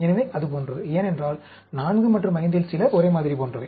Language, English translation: Tamil, So, like that, because some of 4 and 5, like that